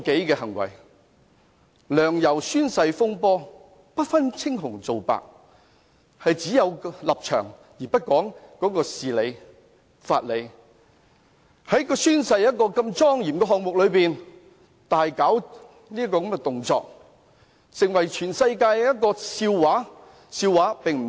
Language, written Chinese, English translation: Cantonese, 例如"梁游宣誓風波"，不分青紅皂白，只有立場，而不講事理、法理，在宣誓的莊嚴儀式中，大搞動作，成為全世界的笑柄。, For example during the oath - taking of Sixtus LEUNG and YAU Wai - ching both of them confounded right and wrong they only held onto their stance but not rationality and legal justification . They made drastic actions in such a solemn oath - taking ceremony turning Hong Kong into a laughing stock of the whole world